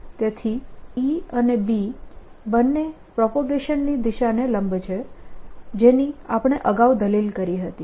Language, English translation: Gujarati, so both e and b are perpendicular to direction of propagation, as we had indeed argued earlier